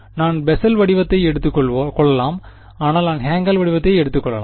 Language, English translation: Tamil, I could have assume the Bessel form, but I can as well as assume the Hankel form